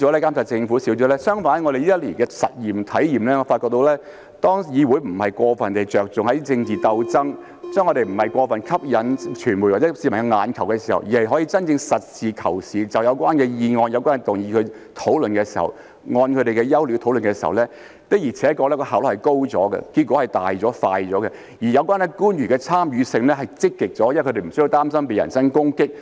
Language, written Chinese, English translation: Cantonese, 相反，根據我們這一年的體驗，我發覺到，當議會不是過分着重政治鬥爭，當我們不是過分為了吸引傳媒或市民的眼球的時候，而是可以真正實事求是，就有關的議案、有關的動議進行討論，按它們的優劣討論的時候，效率的確是高了，結果是大了、快了，而有關官員的參與性是積極了，因為他們不需要擔心被人身攻擊。, No it is exactly the opposite . According to our experience in this year I realize that when the legislature does not overly focus on political struggles and when we do not care too much about catching the eyeballs of the media or the public but can indeed discuss the motions moved in a practical and realistic manner having regard to their merits and demerits we are actually working more efficiently which brings more fruitful results more expeditiously . The relevant officials will then participate more actively because they no longer need to worry about being subject to personal attacks